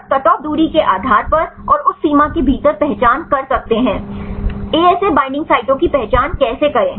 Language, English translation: Hindi, Simply based by the cut off distance and can identify within that limit, the ASA how to identify the binding sites